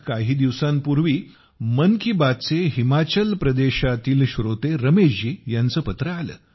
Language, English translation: Marathi, My dear countrymen, sometime back, I received a letter from Ramesh ji, a listener of 'Mann Ki Baat' from Himachal Pradesh